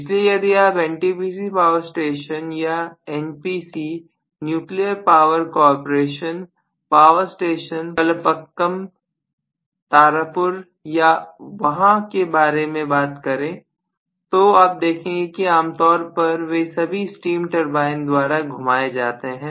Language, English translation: Hindi, So if you talk about NTPC power station or NPC nuclear power cooperation power station in Kalpakkam, Tarapur or whatever there, you are going to see that generally they are all rotated by steam turbines